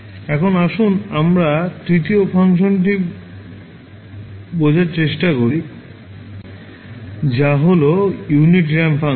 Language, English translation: Bengali, Now, let us understand the third function which is unit ramp function